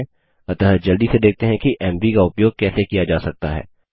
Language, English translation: Hindi, So let us quickly see how mv can be used